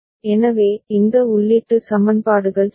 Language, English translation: Tamil, So, these input equations right